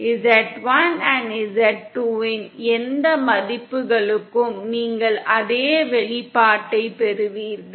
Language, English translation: Tamil, For any values of z1 & z2 you will get the same expression